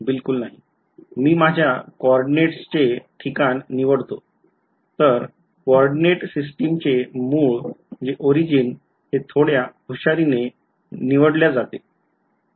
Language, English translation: Marathi, Not at all I have just choosing my location of my coordinate system the origin of my coordinate system is what is being chosen a little bit cleverly